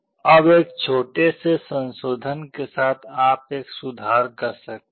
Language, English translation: Hindi, Now with a small modification you can make an improvement